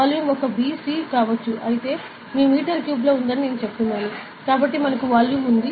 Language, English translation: Telugu, So, the volume can be a b c, say I am saying it is in metre cube though, so we have the volume